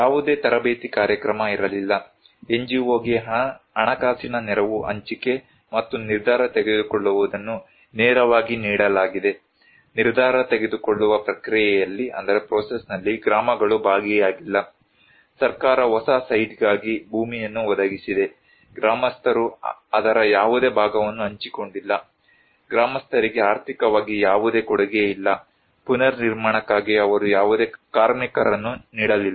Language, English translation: Kannada, There was no training program, allocation of financial assistance given to the NGO directly and decision makings, villages were not involved into the decision making process, government has provided the land for new site, villagers did not share any part of that, no contribution for the villagers financially, they did not contribute any labour for the reconstructions